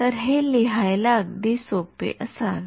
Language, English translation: Marathi, So, this should be very easy to write down